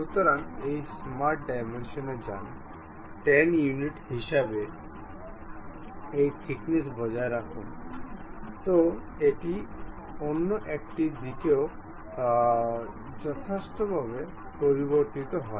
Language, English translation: Bengali, So, now go to smart dimension, maintain this thickness as 10 units; so other side also appropriately change